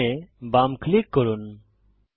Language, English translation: Bengali, Left Click System